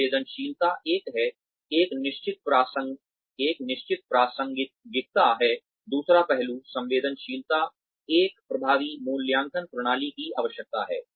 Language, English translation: Hindi, Sensitivity is the, one is of course relevance, the second aspect or requirement, of an effective appraisal system, is sensitivity